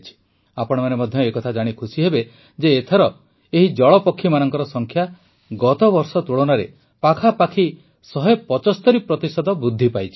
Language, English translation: Odia, You will also be delighted to know that this time the number of water birds has increased by about one hundred seventy five 175% percent compared to last year